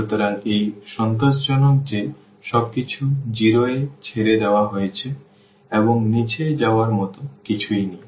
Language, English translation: Bengali, So, it satisfied that everything left to the 0 and there is nothing to go to the bottom